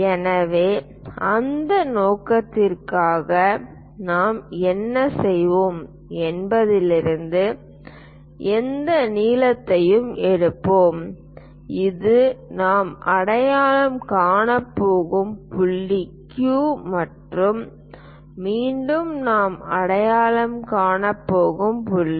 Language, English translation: Tamil, So, for that purpose what we are going to do is pick any length from perhaps this is the point Q what we are going to identify and again another point we are going to identify